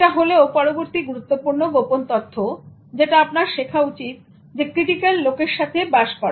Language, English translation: Bengali, This is the next important secret that you should learn to live with critical people